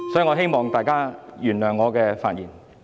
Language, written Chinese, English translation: Cantonese, 我希望大家原諒我的發言。, I hope Members can forgive me for my speech